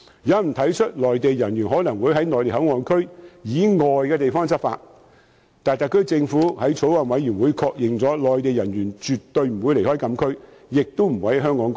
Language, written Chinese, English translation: Cantonese, 有人提出內地人員可能會在內地口岸區以外的地方執法，但特區政府已向法案委員會確認，內地人員絕對不會離開禁區，亦不會在香港過夜。, Some were worried that Mainland personnel would enforce laws outside MPA . However the Government has confirmed to the Bills Committee that Mainland personnel will definitely not leave the restricted area and will not stay in Hong Kong overnight